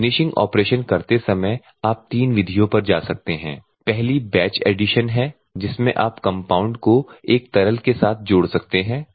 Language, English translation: Hindi, While doing the finishing operation you can go 5 3 methods; one is a batch addition compound are along with a liquid you can add